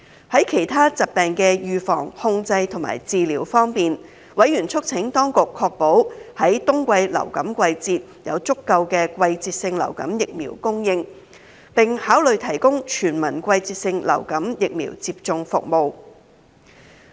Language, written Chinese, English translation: Cantonese, 在其他疾病的預防、控制及治療方面，委員促請當局確保在冬季流感季節有充足季節性流感疫苗供應，並考慮提供全民季節性流感疫苗接種服務。, In respect of the prevention control and treatment of other diseases members urged the Administration to ensure adequate supply of seasonal influenza vaccines in the winter influenza season and consider providing population - wide seasonal influenza vaccination